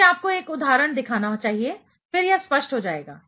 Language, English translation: Hindi, Let me show you one example, then, it should be clearer